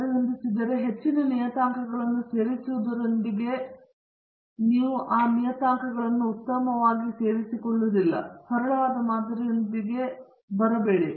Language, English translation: Kannada, If adjusted R squared is decreasing with the addition of more parameters then you better not add those parameters, and leave with the simpler model